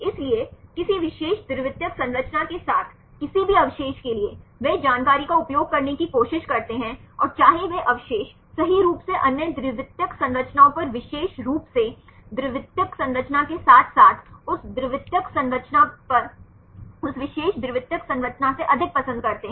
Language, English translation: Hindi, So, for any residue with any particular secondary structure they try to use the information and whether that residues right prefer to in particular secondary structure over the other secondary structures as well as that secondary structure over now other than that particular secondary structure